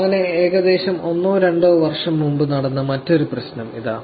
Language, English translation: Malayalam, So, here is another interesting problem that happened about a year or two years back